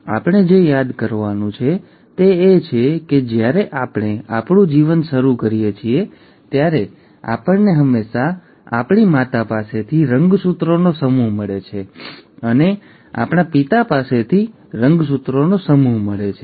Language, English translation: Gujarati, Now, what we have to remember is that when we start our life, we always get a set of chromosomes from our mother, and a set of chromosomes from our father